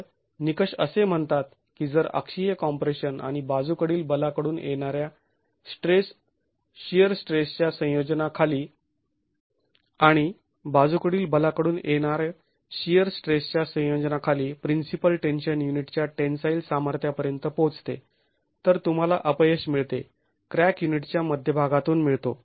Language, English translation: Marathi, So, the criterion says that if under a combination of axial compression and shear stress from the lateral force, the principal tension reaches the tensile strength of the unit, then you get the failure, the crack occurring through the center of the unit